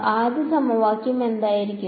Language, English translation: Malayalam, So, what will the first equation